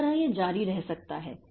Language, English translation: Hindi, So, that way it can continue